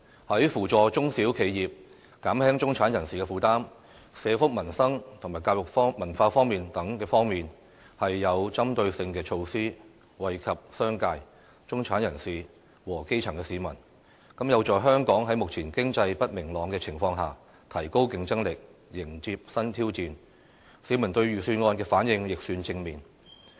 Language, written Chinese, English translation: Cantonese, 在扶助中小企業、減輕中產人士負擔、社福民生及教育文化等方面，均有針對性措施，惠及商界、中產人士和基層市民，有助香港在目前經濟不明朗的情況下，提高競爭力，迎接新挑戰，市民對預算案的反應亦算正面。, Apart from the initiatives to support small and medium enterprises SMEs and to alleviate the burden of the middle class there are also targeted measures in the areas of social welfare peoples livelihood education and culture . The proposals put forward in the Budget which are beneficial to the business sector the middle class and the grass - roots people are conductive to enhancing the competitiveness of Hong Kong enabling the city to meet new challenges in the face of economic uncertainties . The response of the public to the Budget is positive